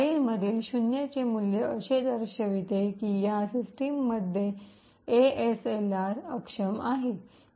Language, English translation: Marathi, A value of 0 in this file indicates that ASLR is disabled on this system